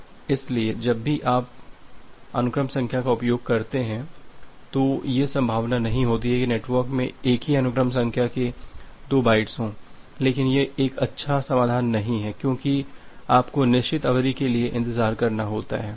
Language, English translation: Hindi, So, whenever you are going to use a sequence number there is no possibility that there are two bytes with the same sequence numbers are outstanding in the network, but this is not a good solution because you have to wait for certain amount of duration